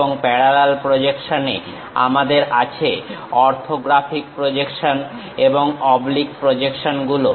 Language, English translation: Bengali, And in parallel projections, we have orthographic projections and oblique projections